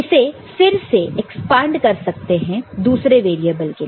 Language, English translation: Hindi, So, these again can be expanded for another variable